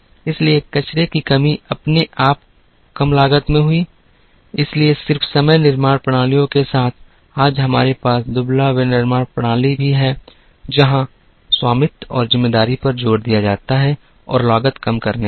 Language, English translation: Hindi, So, waste reduction automatically resulted in less cost, so along with the just in time manufacturing systems, today we also have lean manufacturing systems, where the emphasis is on ownership and responsibility and also on cost minimization